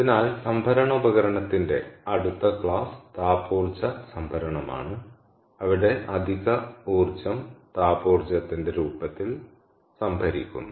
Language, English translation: Malayalam, so the next class of storage device is is thermal energy storage, where the excess energy is stored in the form of thermal energy